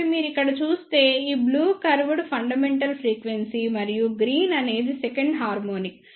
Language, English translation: Telugu, So, if you see here this blue curve is the fundamental frequency, and this green one is second harmonic